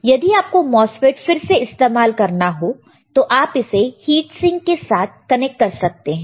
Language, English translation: Hindi, Similarly, but if you want to use the MOSFET again, we can connect it to heat sink